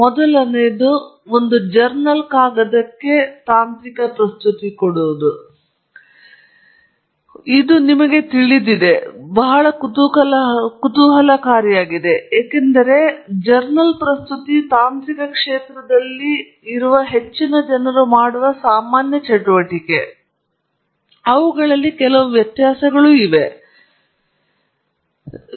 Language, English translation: Kannada, The first is a technical presentation versus a journal paper; this is interesting for us to know, because these are activities that most people in the technical field do, and there are some variations and differences between them, and so that’s something we will look at